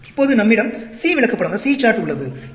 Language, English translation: Tamil, Now, we have the C chart